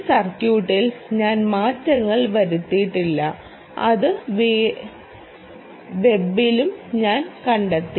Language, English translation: Malayalam, i did not make changes to this circuit, which i also found on the web